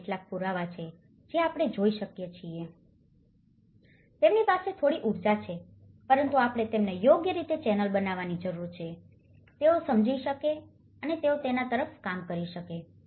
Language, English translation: Gujarati, These are some evidences, which we can see that they have some energy but we need to channel them in a right way so that they can understand and they can realize and they work towards it